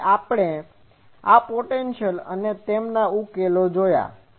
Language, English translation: Gujarati, So, we have seen these potentials their solutions